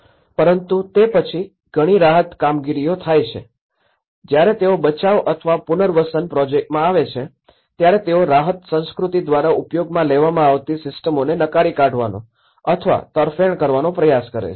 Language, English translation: Gujarati, But then the many of the relief operations, when they come into the rescue or the rehabilitation projects, they try to reject and in favour of the systems familiar to an exercised by the relief culture